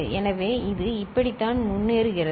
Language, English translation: Tamil, So, this is how it progresses